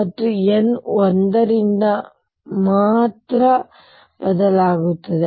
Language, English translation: Kannada, And n varies only by one